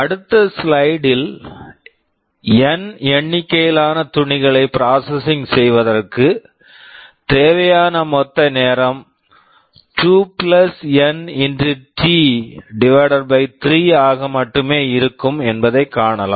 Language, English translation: Tamil, We shall be seeing in the next slide that for processing N number of clothes the total time required will be only (2 + N) T / 3